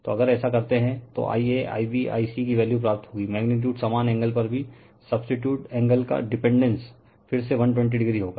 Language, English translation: Hindi, So, if you do so you will get value of I a, I b, I c, magnitude same angles also substituted angle dependence will be again 120 degree right